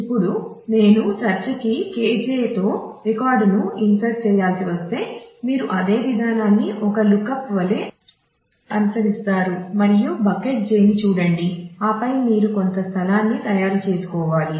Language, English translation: Telugu, Now if I have to insert a record with a search key K j; you will follow that same procedure as a lookup and look at the bucket j and then you will have to look for making some space